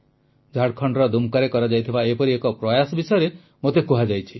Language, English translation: Odia, I was informed of a similar novel initiative being carried out in Dumka, Jharkhand